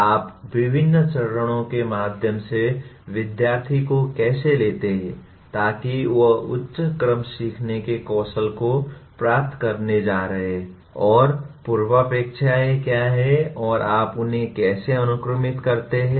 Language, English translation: Hindi, How do you take the student through various phases so that he is going to acquire the higher order learning skills and what are the prerequisites and how do you sequence them